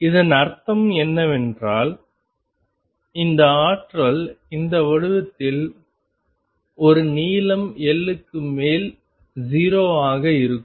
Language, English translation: Tamil, What you mean by that is this potential is of this shape with a potential being 0 over a length L